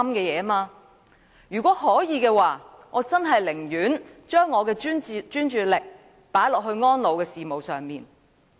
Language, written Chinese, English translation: Cantonese, 如果可以，我寧可把專注力放在安老事務上。, If I could I would rather concentrate on elderly care